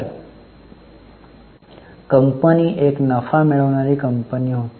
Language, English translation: Marathi, So, company must be a profit making company